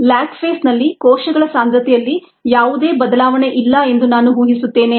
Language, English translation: Kannada, ok, i am assuming that a there is no change in cell concentration in the lag phase